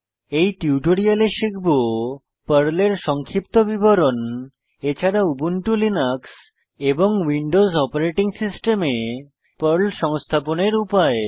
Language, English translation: Bengali, In this tutorial, we have learrnt: Overview of PERL and, Installation instructions of PERL for Ubuntu Linux 12.04 and Windows 7